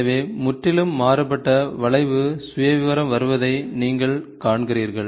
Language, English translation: Tamil, So, you see a completely different curve profile coming